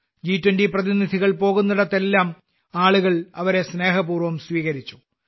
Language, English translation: Malayalam, Wherever the G20 Delegates went, people warmly welcomed them